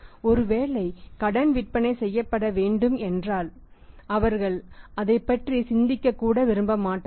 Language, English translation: Tamil, If credit is required to be given or sales are to be made on the credit then they would not even like to think about that